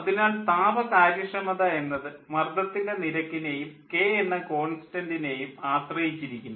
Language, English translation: Malayalam, so thermal efficiency is dependent on the pressure ratio, and k, k is cp by cv